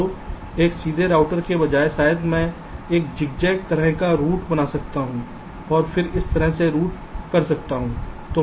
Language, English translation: Hindi, so instead of a straight router maybe i can make a zig zag kind of a rout and then rout like this